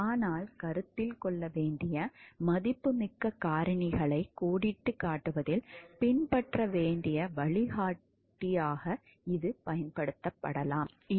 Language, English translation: Tamil, But, it can be using used as a guideline to be followed in outlining the valuable factors to be considered